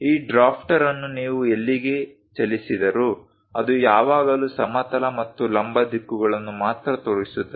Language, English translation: Kannada, Wherever you move this drafter, it always shows only horizontal and vertical directions